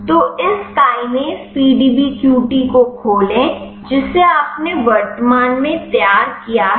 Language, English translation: Hindi, So, open this kinase PDBQT which you have prepared currently, want to preserve the charges